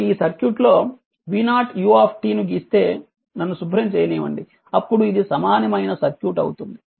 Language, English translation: Telugu, So, this if you draw v 0 ut this circuit then your what you call let me clear it this is the equivalent circuit from here